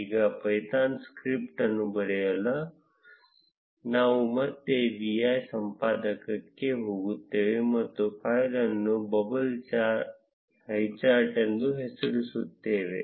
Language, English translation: Kannada, Now, to write the python script, we will again go to the vi editor and name the file as bubble highcharts